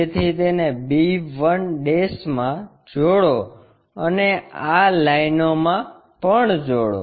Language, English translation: Gujarati, So, join call b 1' and join these lines